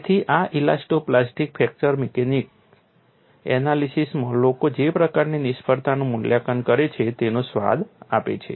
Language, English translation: Gujarati, So, this gives a flavor of what is the kind of failure assessment that people do in elasto plastic fracture mechanics analysis